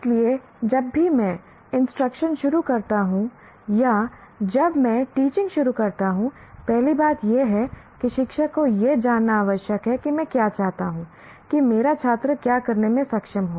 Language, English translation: Hindi, So, whenever I start instruction or when I start teaching, first thing the teacher need to know what is it that I want my student to be able to do and that will become our reference